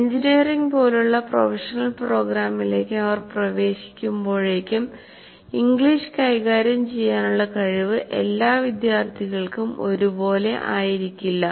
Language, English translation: Malayalam, Whatever you say, by the time they enter a professional program like engineering, the facility with English is not uniform for all students